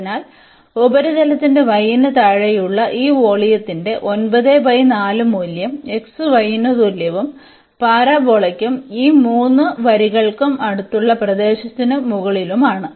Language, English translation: Malayalam, So, we get the value 9 by 4 of this volume which is below the surface y is equal to x y and above the region close by the parabola and these 3 lines